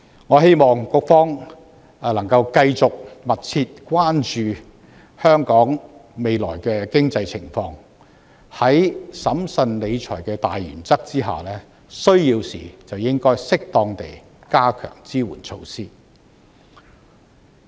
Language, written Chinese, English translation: Cantonese, 我希望局方能夠繼續密切關注香港未來的經濟情況，在審慎理財的大原則下，需要時便應適當地加強支援措施。, I hope the Bureau can keep the economic situation of Hong Kong under close review and timely enhance the support measures when necessary under the overriding principle of fiscal prudence